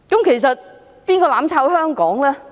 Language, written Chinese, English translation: Cantonese, 其實，是誰"攬炒"香港呢？, In fact who is subjecting Hong Kong to mutual destruction?